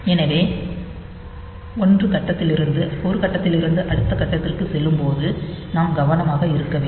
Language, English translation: Tamil, So, we have to be careful that from 1 stage to the next stage